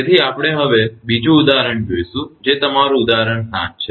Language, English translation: Gujarati, So, we will come to you know another example that is your example 7